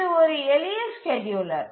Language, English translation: Tamil, So, this is a simple scheduler